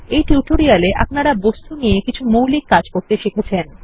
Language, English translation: Bengali, In this tutorial, you have learnt the basics of working with objects